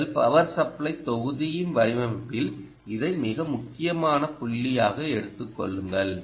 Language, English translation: Tamil, take this as a very important point in the design of your power supply block